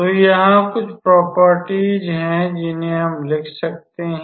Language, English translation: Hindi, So, there are certain properties we can write